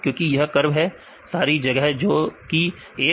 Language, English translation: Hindi, Because this is the curve; the complete space that is 1